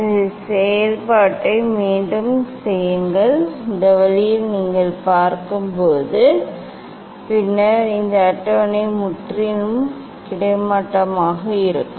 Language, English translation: Tamil, this way you have to repeat the operation and bring this then this table is perfectly horizontal